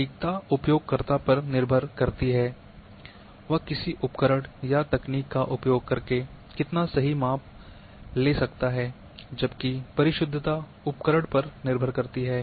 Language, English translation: Hindi, Accuracy depends on user how accurately he measures using certain tool or technique, whereas precision is dependent on instrument